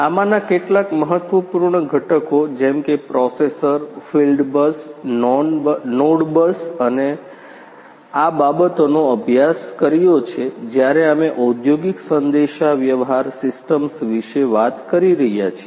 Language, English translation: Gujarati, So, some of these important components such as the processor, the field bus, the node bus, these things you have studied when we are talking about the industrial communications systems